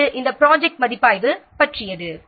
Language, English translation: Tamil, Then we will see about the project review